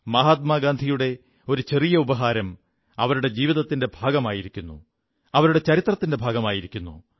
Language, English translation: Malayalam, A small gift by Mahatma Gandhi, has become a part of her life and a part of history